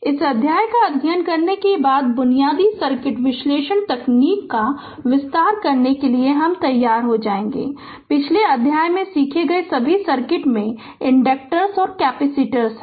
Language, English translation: Hindi, After studying this chapters, we will be ready to extend the basic circuit analysis technique, you all learned in previous chapter to circuit having inductance and capacitance